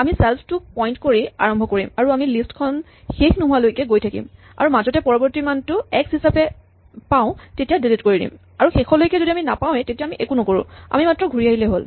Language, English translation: Assamese, We start pointing to self and so long as we have not reached the end of the list if we find the next value is x and then we bypass it and if you reach the end of the list, we have not found it, we do nothing, we just have to return